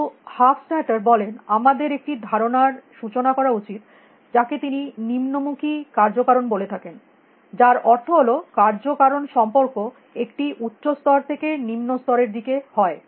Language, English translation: Bengali, But Hofstadter says that we have to introduce a notion of what he calls as downward causality which means the causality is from a higher level to a lower level